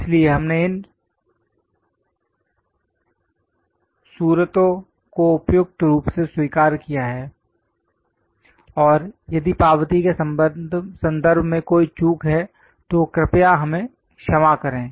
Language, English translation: Hindi, So, suitably we are acknowledging and if there are any omissions in terms of acknowledgement, please excuse us